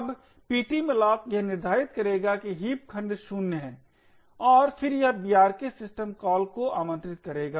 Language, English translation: Hindi, Now the ptmalloc would determining that the heap segment is 0 and then it would invoke the brk system call